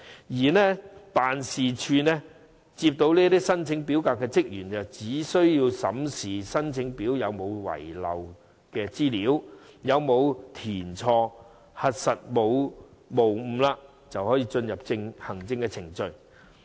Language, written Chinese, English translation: Cantonese, 至於辦事處接收申請表格的職員，他們只須審視申請表有否遺漏資料、有否填寫錯誤，在核實無誤後，便可進入行政程序。, As for staff members responsible for receiving the application forms in the office they will only check if anything is missing in the forms and if the forms are filled correctly . After the form is verified to be in order the application will proceed to the administrative procedures